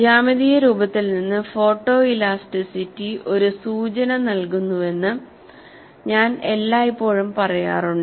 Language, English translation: Malayalam, I have always been mentioning, photo elasticity provides a clue from the geometric appearance